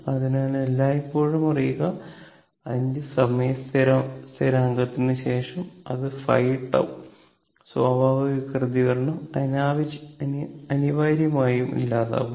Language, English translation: Malayalam, So, we always know that after 5 time constant, that is 5 tau, the natural response essentially dies out